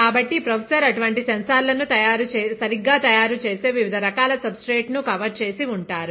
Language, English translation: Telugu, So, professor would have covered different types of substrates on which such sensors are made right